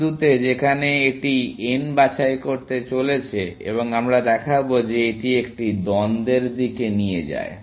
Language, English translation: Bengali, At the point, where it is about to pick n and we will show that this leads to a contradiction